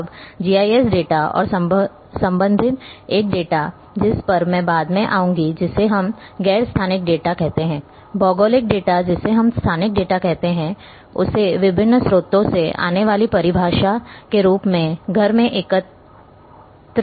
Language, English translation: Hindi, Now, GIS data and related a tabular data which I will come later which we call as non spatial data geographic data we call as a spatial data can be collected in house as a by definition coming from variety of sources